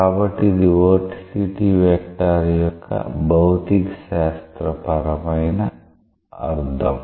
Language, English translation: Telugu, So, that is the physical meaning of vorticity vector